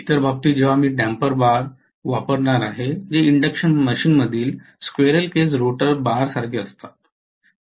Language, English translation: Marathi, Whereas in the other case where I am going to use damper bars which are very similar to squirrel cage rotor bars in an induction machine